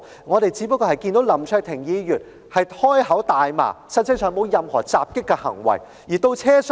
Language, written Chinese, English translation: Cantonese, 我們只是看到林卓廷議員開口大罵，實際上沒有作出任何襲擊行為。, We can only see Mr LAM Cheuk - ting swear without doing any actual acts of attack